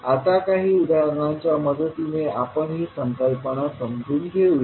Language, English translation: Marathi, Now, let us understand this concept with the help of few examples